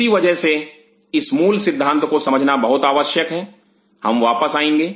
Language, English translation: Hindi, That is why understanding of this fundamental concept is very important we will come back